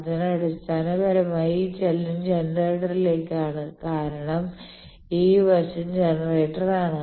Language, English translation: Malayalam, So, basically this movement is towards generator towards generator I am moving because this side is generator